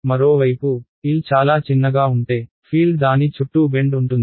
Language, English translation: Telugu, On the other hand, if L was very small then the field will have to sort of bend around it